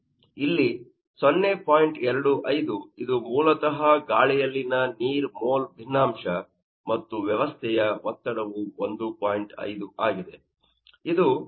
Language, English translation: Kannada, 25 is basically the more fraction of the water in the air, and system pressure is 1